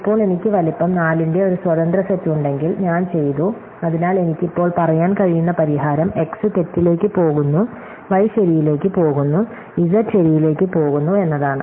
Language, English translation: Malayalam, Now, if I have an independent set of size , then I am done, so I can say that the solution now I want is that x goes to false, y goes to true and z goes to true